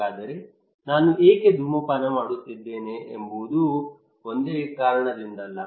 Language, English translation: Kannada, So why I am smoking is not that only because of one reason